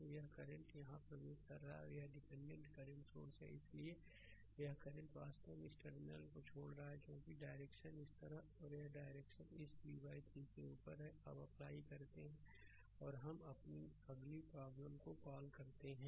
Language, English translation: Hindi, So, this current is entering here and this is dependent current source, this current actually leaving this terminal because direction is this way and this direction is upward this v by 3; now you apply and next come to the your what you call the problem